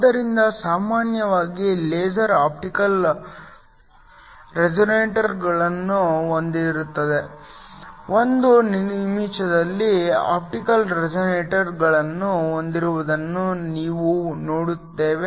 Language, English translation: Kannada, So, typically a laser will have optical resonators, we will see those in a minute have optical resonators